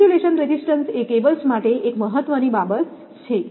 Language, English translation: Gujarati, Insulation resistance is a great matter for cables